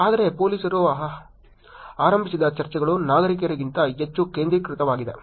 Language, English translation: Kannada, But the police initiated discussions are more focused than citizen initiated